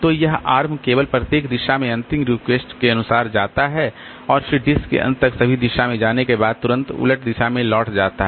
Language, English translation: Hindi, So, this arm only goes as far as the last request in each direction and then reverses direction immediately without first going all the way to the end of the disk